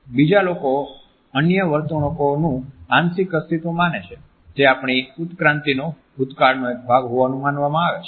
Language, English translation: Gujarati, Others are thought to be partial survival of other behaviors, which are believed to have been a part of our evolutionary past